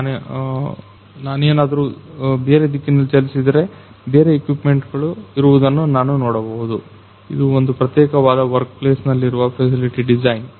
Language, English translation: Kannada, So, if I will move in different direction, I can see that this is the different equipments are present, this is the facility design in the particular workplace